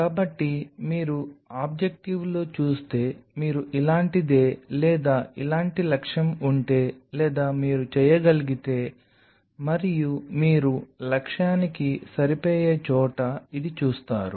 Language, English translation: Telugu, So, if you see on objective if you something like this or objective like this or you can and you will see this is where you fit the objective